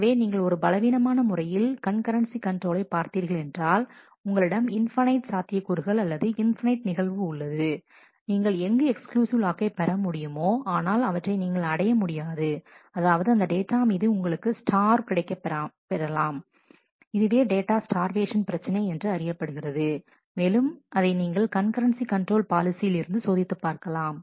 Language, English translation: Tamil, So, if you have a weak strategy in terms of concurrency control, you have you will see that you have had infinite possibilities infinite occurrences, where you could have got that exclusive lock, but you are not being able to get that and therefore, you starve on the data and this is known as a data starvation problem which will also have to be checked while we do the concurrency control policies